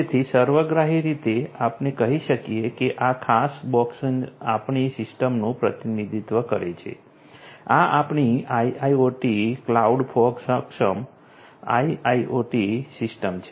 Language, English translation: Gujarati, So, holistically we have let us say that this particular box representing our system right, this is our IIoT cloud fog enabled IIoT system